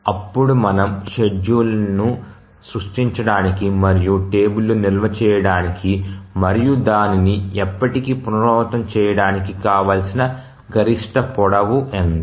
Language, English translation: Telugu, So, what is the maximum length for which we need to create the schedule and store it in a table and then we keep on repeating it forever